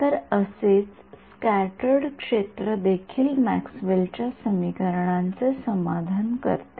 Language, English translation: Marathi, So, also does the scattered field satisfy the Maxwell’s equations right